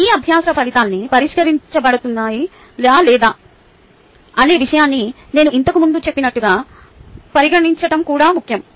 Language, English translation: Telugu, its also important to consider, as i said earlier, that are all these learning outcomes being addressed or not